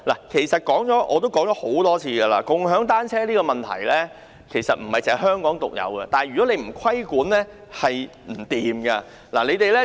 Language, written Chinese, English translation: Cantonese, 其實，我已多次表示，共享單車的問題並不是香港獨有，但政府如不規管，便不可行。, In fact I have said many times that problems arising from bike sharing are not unique to Hong Kong; but if the Government does not regulate the service it cannot be done